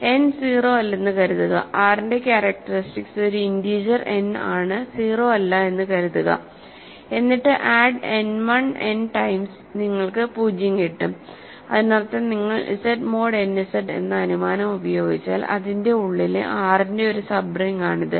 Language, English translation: Malayalam, So, suppose n is not 0, assume that characteristic of R is an integer n not 0, then if you add n 1 n times you get 0 right because; that means, if you under this assumption Z mod n Z so, its inside as a sub ring of R ok